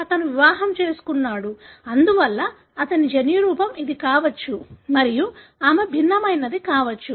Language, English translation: Telugu, He is married in, therefore his genotype could be this and she could be heterozygous